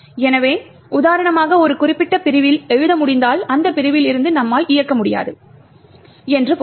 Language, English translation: Tamil, So, for example if you can write to a particular segment it would mean that you cannot execute from that segment